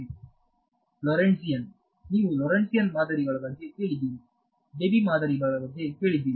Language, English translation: Kannada, Lorentzian You have heard of Lorentzian models, you heard of Debye models